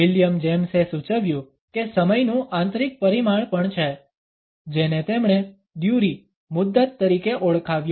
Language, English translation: Gujarati, William James suggested that there is also an internal dimension of time which he called as ‘duree’